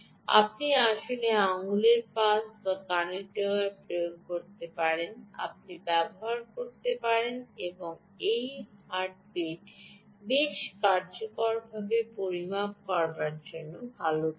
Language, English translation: Bengali, here you can actually apply finger pulse, are also ear tip you can use and these are good places to measure the ah heartbeat quite effectively